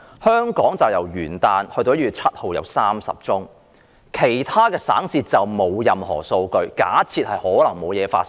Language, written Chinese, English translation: Cantonese, 香港由元旦至1月7日錄得30宗個案，其他省市則沒有任何數據，假設沒有疫情發生。, From New Years Day to 7 January 30 cases were recorded in Hong Kong . The data in other provinces and cities are not available so we assume that there is no outbreak there